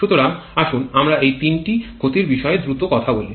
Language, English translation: Bengali, So, let us quickly talk about these three losses